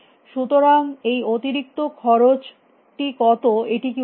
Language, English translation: Bengali, So, how much is this extra cost, is it worthwhile